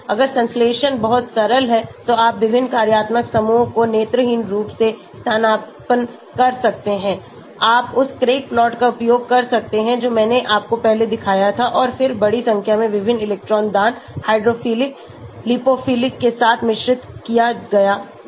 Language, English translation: Hindi, If the synthesis is very simple you may just blindly substitute different functional groups, you can use that Craig plot which I showed you before and then synthesis a large number of compounded with various electron donating, withdrawing hydrophilic, lipophilic